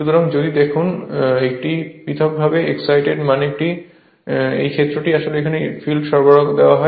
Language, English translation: Bengali, So, if you look into that a separately excited means the field actually is given a different your supply right